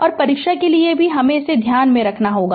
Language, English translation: Hindi, And for the for the exam also, you have to keep it in your mind right